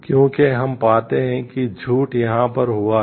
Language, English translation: Hindi, Because we find lying has happened over here